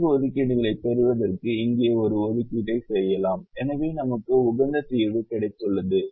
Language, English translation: Tamil, and then we make an assignment here, this goes and we can make an assignment here to get four assignments and therefore we have got the optimum solution